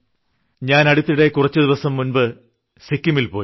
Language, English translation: Malayalam, I visited Sikkim few days ago